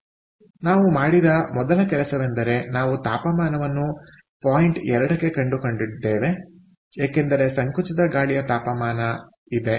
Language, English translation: Kannada, so first thing that we did was we found out the temperature at point two, because there is a compressed air temperature